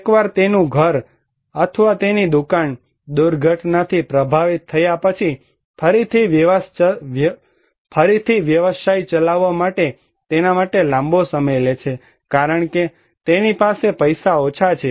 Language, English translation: Gujarati, Once his house or his shop is affected by disaster, it takes a long time for him to run the business again because he has very little money